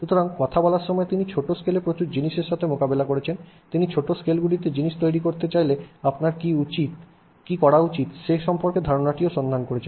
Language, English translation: Bengali, So, while his talk deals with a lot of things at the small scale, he also explores the idea of what should you do if you want to make things at the small scale